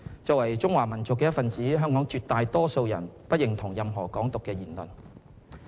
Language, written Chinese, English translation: Cantonese, 作為中華民族的一分子，香港絕大多數人不認同任何"港獨"的言行。, As members of the Chinese race the vast majority public of Hong Kong do not agree with the idea of Hong Kong independence in word or deed